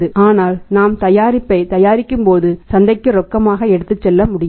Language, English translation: Tamil, But when we manufacture the product it is not possible to be taken to the market on cash